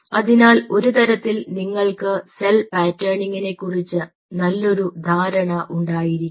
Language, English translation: Malayalam, so in a way, you have to have a fairly good idea about cell patterning